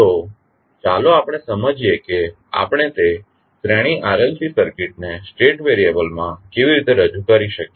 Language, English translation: Gujarati, So, let us understand how we can represent that series RLC circuit into state variables